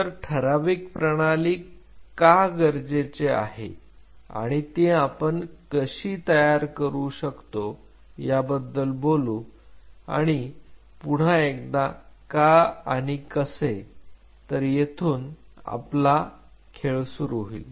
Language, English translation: Marathi, So, we will talk about why we needed a defined system and how we can create a defined system again the why and the how of this ball game will start